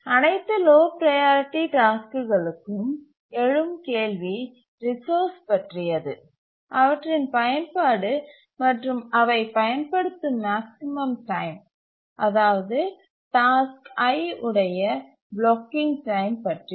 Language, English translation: Tamil, For all the lower priority tasks, what is the resources they use and what is the maximum time they use and that is the blocking time for the task I